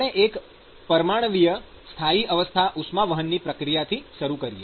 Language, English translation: Gujarati, Let us say we start with a one dimensional steady state conduction process